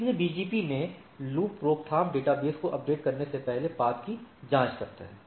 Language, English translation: Hindi, So, loop prevention in BGP checks the path before updating the database